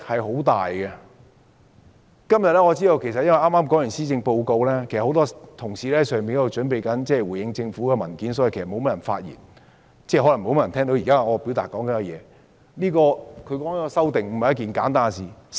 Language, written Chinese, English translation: Cantonese, 由於今天剛剛發表了施政報告，很多同事正準備回應政府的文件，所以發言的議員不多，而可能聽到我發言的議員也不多，但是，這項修訂並非簡單的事情。, As many Honourable colleagues are preparing their responses to the Policy Address just released today there are not many Members speaking and there may not be many of them who are listening to my speech now . However this amendment is not a simple matter